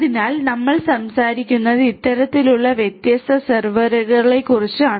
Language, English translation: Malayalam, So, we are talking about these kind of different servers which are placed together